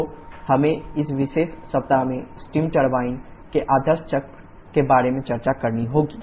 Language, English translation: Hindi, So, we have to discuss about the ideal cycle for steam turbine in this particular week